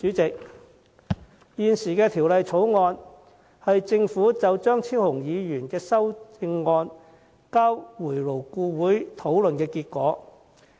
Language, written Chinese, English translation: Cantonese, 這項《條例草案》是政府就張超雄議員的修正案交回勞顧會討論的成果。, The Bill is the outcome of the discussion on the amendments of Dr Fernando CHEUNG reverted to LAB by the Government